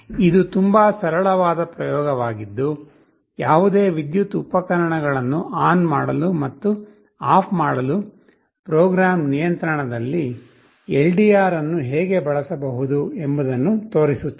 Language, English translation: Kannada, This is a very simple experiment that shows you how an LDR can be used under program control to switch ON and switch OFF any electrical appliance